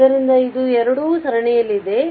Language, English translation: Kannada, So, it is here it both are in series